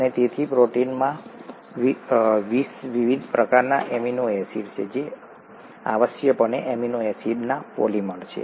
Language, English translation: Gujarati, And therefore there are 20 different types of amino acids in the proteins which are essentially polymers of amino acids